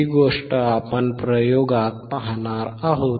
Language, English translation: Marathi, We will see this thing in the experiment